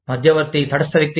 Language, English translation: Telugu, An arbitrator is a neutral person